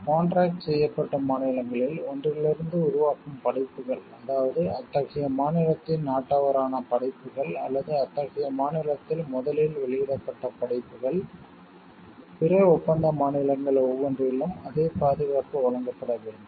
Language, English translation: Tamil, Works originating in one of the contracting states, that is works the author of which is a nation is of national of such a state or a works first published in such a state, must be given the same protection in each of the other contracting states, as the later grants to the works of it is own nationals like, principles of national treatment